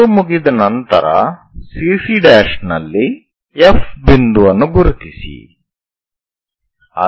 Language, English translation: Kannada, Once it is done mark a point F on CC prime